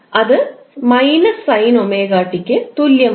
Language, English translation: Malayalam, That is minus sine omega t